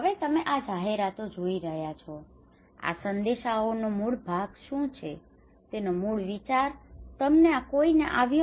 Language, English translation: Gujarati, Now looking at these advertisements, these messages what is the core of that one what the core idea you can get any idea